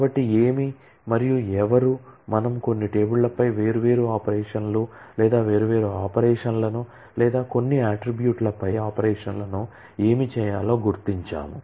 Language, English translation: Telugu, So, what and who, so we identify different operations or different operations on certain tables or operations on certain attributes as what needs to be done